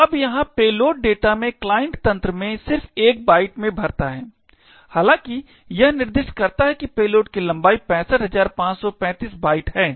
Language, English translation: Hindi, So, now over here in the payload data the client system just fills in 1 byte even though it has specified that the length of the payload is 65535 bytes